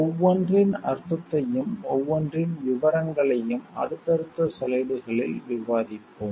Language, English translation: Tamil, We will discuss the meaning of each and the details of each in the subsequent slides